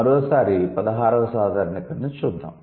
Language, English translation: Telugu, So, that is the 16th generalization